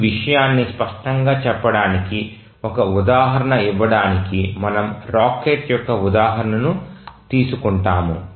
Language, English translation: Telugu, Just to give an example, to make this point clear, we will take the example of a rocket